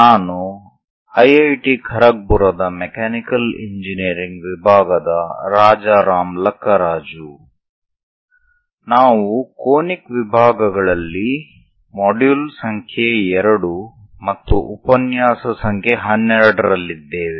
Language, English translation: Kannada, I am Rajaram Lakkaraju from Mechanical Engineering IIT Kharagpur; we are in module number 2 lecture 12 on Conic Sections